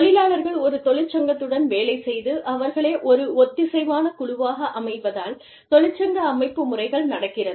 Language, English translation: Tamil, Union organizing process, it takes place, when employees work with a union, to form themselves, into a cohesive group